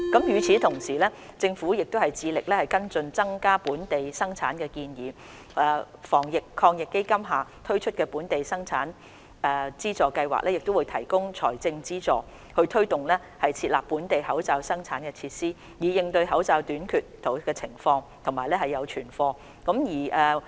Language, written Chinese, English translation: Cantonese, 與此同時，政府致力跟進增加本地生產的建議，防疫抗疫基金下推出的本地口罩生產資助計劃會提供財政資助，推動設立本地的口罩生產設施，以應對口罩短缺的情況並建立存貨。, At the same time the Government has taken steps to follow up on the recommendation to increase local production . Under the Anti - epidemic Fund the Local Mask Production Subsidy Scheme will provide financial assistance to facilitate the establishment of mask production lines in Hong Kong so as to address the shortage situation and build up reserve stock